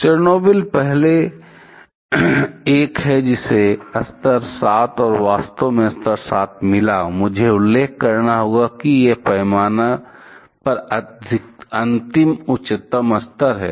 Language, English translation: Hindi, Chernobyl is the first one, which got a level 7 and actually level 7, I must mention is the last highest level on the scale